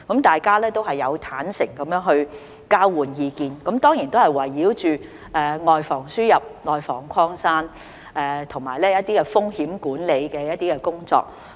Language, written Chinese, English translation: Cantonese, 大家都有坦誠地交換意見，當然都是圍繞着"外防輸入、內防擴散"，以及一些風險管理的工作。, They candidly exchanged views on certainly the prevention of importation of cases and spreading of the virus in the community as well as some risk management work